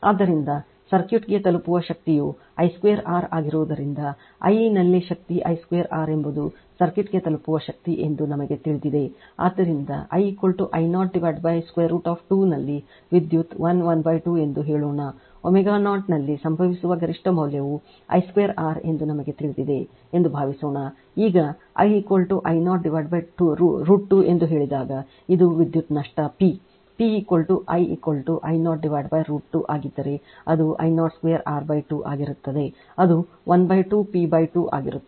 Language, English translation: Kannada, So, since the power delivered to the circuit is I square R therefore, at I is equal to we know that power I square R is the power delivered to the circuit therefore, suppose at I is equal to I 0 by root 2 say the power is 1 half of the maximum value which occurs at omega 0 right suppose suppose your this one we know I square r right, now when I is equal to say I 0 by root 2 then if this is the power loss P P is equal to I is equal to I 0 byroot 2 then it will be I 0 square R by 2 that is it will be half P by 2 right